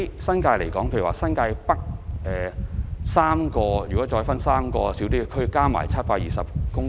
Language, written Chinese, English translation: Cantonese, 新界北新市鎮分為3個小區，合共佔地720公頃。, The NTN New Town which comprises three districts covers 720 hectares of land in total